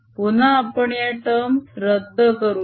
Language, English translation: Marathi, again we are going to cancel terms